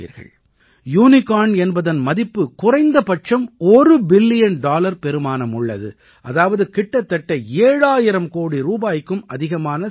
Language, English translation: Tamil, 'Unicorn' is a startup whose valuation is at least 1 Billion Dollars, that is more than about seven thousand crore rupees